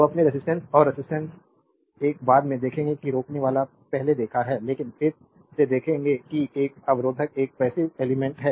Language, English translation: Hindi, So, resistance your resistance is a later we will see that resistor earlier we have seen, but again we will see that a resistor is a passive element